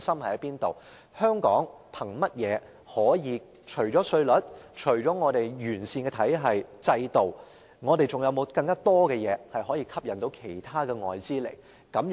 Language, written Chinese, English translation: Cantonese, 香港除了稅率及完善的制度外，我們還有何優勢可以吸引其他外資呢？, What else do we have apart from the low tax rates and a sound system that can help Hong Kong attract foreign investments?